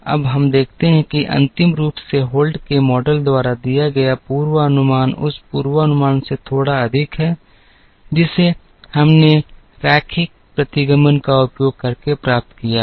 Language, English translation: Hindi, Now, we observe that the final the forecast given by Holt’s model is slightly higher than the forecast that, we got using the linear regression